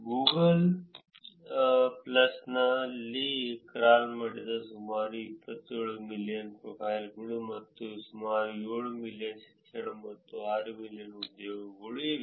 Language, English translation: Kannada, In Google plus that are about 27 million profiles that were crawled and about 7 million education and 6 million employment